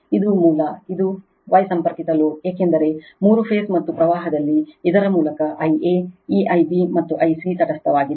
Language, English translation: Kannada, This is the source, and this is the star connected load, because in three phase right and current through this it is I a, this I b, and I c is neutral